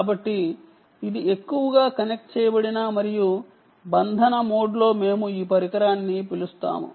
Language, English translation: Telugu, so this is mostly in the connected and bonding mode